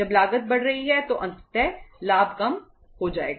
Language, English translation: Hindi, When the cost is increasing ultimately the profit will go down